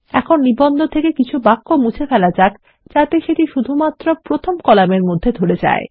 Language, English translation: Bengali, Let us delete some sentences so that our article fits in the first column only